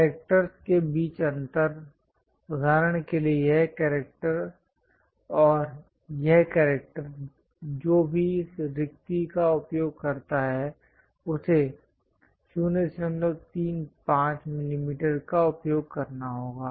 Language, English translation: Hindi, Spacing between characters; for example, this character and that character whatever this spacing that has to be used 0